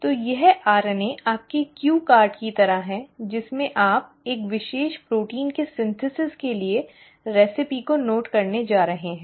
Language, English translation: Hindi, So this RNA is like your cue card in which you are going to note down the recipe for the synthesis of a particular protein